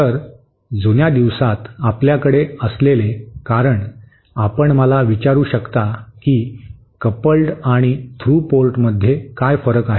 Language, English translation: Marathi, So, in olden days the reason we have, you might ask me what is the difference between the coupled and the through port